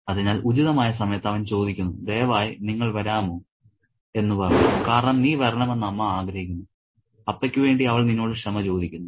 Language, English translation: Malayalam, So, he asks at the opportune moment and says, can you please come because Amma wants you to come and she is apologizing to you on the behalf of Appa